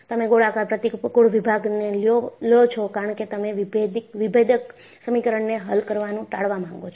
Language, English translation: Gujarati, You take a circular cross section because you want to avoid solving differential equations